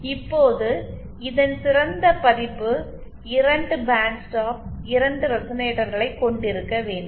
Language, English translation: Tamil, Now, even better version of this is to have 2 band stop is to have 2 resonators